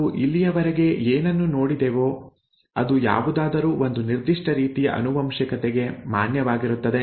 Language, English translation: Kannada, Whatever we have seen so far is valid for a certain kind of inheritance